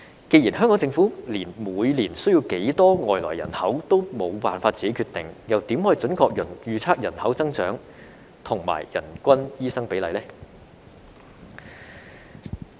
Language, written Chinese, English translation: Cantonese, 既然香港政府連每年需要多少外來人口也無法由自己決定，又怎能準確預測人口增長和人均醫生比例呢？, As the Hong Kong Government cannot decide the number of immigrants it needs each year how can it accurately estimate the population growth and the per capita doctor ratio?